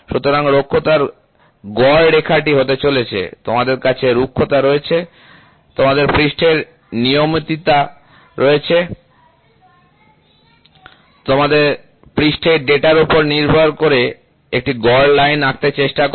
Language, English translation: Bengali, So, the mean line of roughness is going to be, so, you have a roughness, you have a surface regularity, you try to draw a mean line based upon the surface data